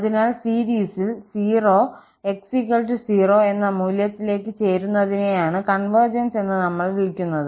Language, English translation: Malayalam, So, this is what we call that the series converges to the value 0 at x equal to 0